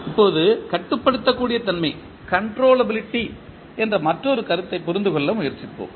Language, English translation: Tamil, Now, let us try to understand another concept called concept of controllability